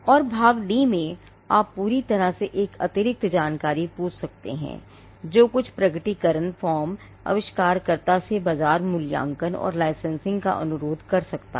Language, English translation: Hindi, And part D, you could ask for this is entirely an additional information, which some disclosure forms may request from the inventor market valuation and licensing